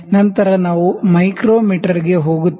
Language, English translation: Kannada, Then we will move to the micrometer